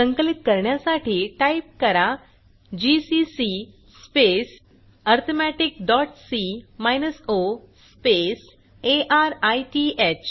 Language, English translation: Marathi, To compile, typegcc space arithmetic dot c minus o space arith